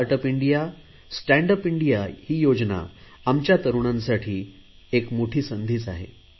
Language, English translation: Marathi, "Startup India, Standup India" brings in a huge opportunity for the young generation